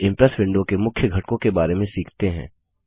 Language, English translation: Hindi, Now let us learn about the main components of the Impress window